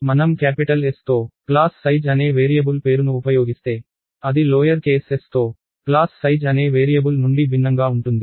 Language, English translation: Telugu, So, if I use the variable name called class size with a capital S, it is going to be different from a variable called class size with a lower case s